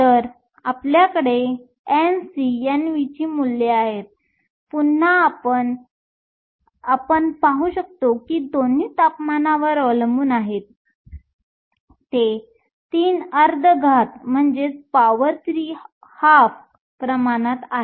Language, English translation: Marathi, So, we have the values for N c and N v; again we see both are temperature dependent, they are proportional to t to the power 3 half